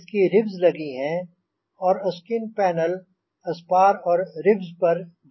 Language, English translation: Hindi, it is got a ribs and the skin panel is riveted to the spars and the ribs